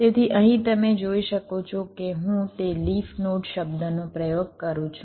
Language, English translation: Gujarati, so here, as you can see, i have use that term, call leaf node